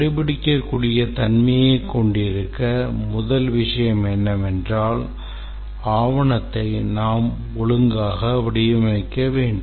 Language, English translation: Tamil, To be able to have traceability, the first thing is that we have to have proper structuring of the document